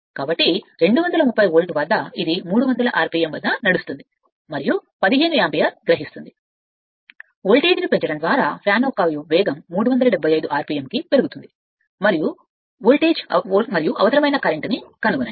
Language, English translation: Telugu, So, at 32 volt it runs at 300 rpm and takes 15 ampere, the speed of the fan is to be raised to 375 rpm by increasing the voltage, find the voltage and the current required right